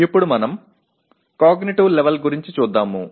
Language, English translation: Telugu, Now we come to the cognitive level